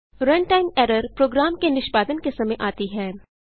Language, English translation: Hindi, Run time error occurs during the execution of a program